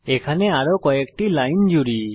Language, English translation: Bengali, Let me add few more lines here